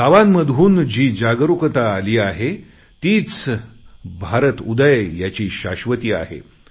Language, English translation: Marathi, The awareness that has come about in villages guarantees a new progress for India